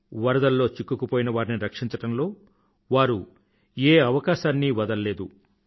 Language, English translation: Telugu, They have left no stone unturned as saviors of those trapped in the floods